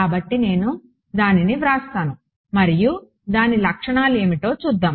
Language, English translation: Telugu, So, I will write it out and then we will see what its properties are